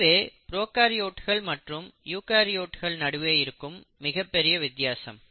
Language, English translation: Tamil, So this is the basic difference between the arrangement of genetic material between prokaryotes and eukaryotes